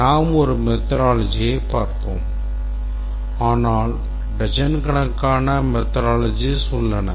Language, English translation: Tamil, We look at one of the methodologies but there exist dozens of methodologies